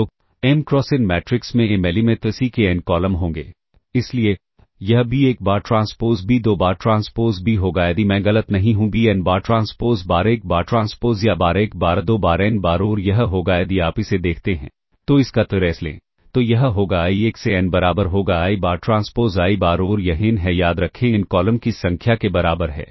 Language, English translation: Hindi, So, m cross n matrices will have ah n columns of m element c So, this will be b 1 bar transpose b 2 bar transpose b ah if I am not mistaken be n bar transpose times a 1 bar transpose or times a 1 bar a 2 bar a n bar and that will be if you look at it summation if you take the trace of that that will be summation